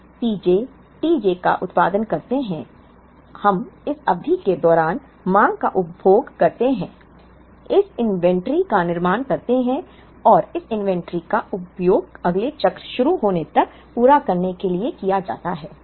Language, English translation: Hindi, We produce P j t j we also consume the demand during this period, build up this inventory and this inventory is used to meet till the next cycle begins